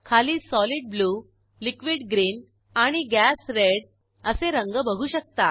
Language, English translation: Marathi, Below you can see colors of Solid Blue, Liquid Green and Gas Red